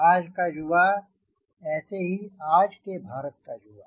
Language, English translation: Hindi, that is what is youth of today, india's youth today